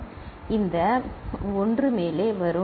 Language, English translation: Tamil, So, this 1 will come up